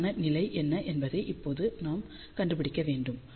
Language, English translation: Tamil, So, now we need to find what is the worst case condition